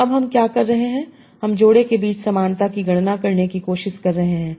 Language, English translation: Hindi, And then you can compute similarity between various pairs